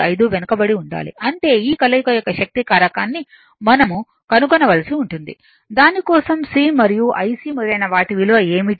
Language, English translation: Telugu, 95 , lagging right; that means, we have to find combined power factor of this, then for which what will be the value of the C and IC etcetera